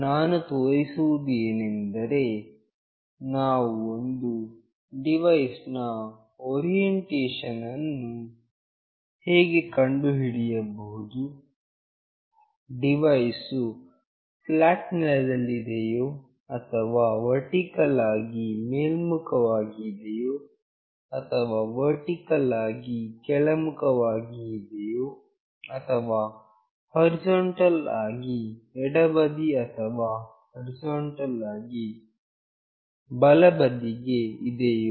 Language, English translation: Kannada, We will be showing how we can find out the orientation of a device, whether the device is lying flat or is vertically up or it is vertically down or it is horizontally left or it is horizontally right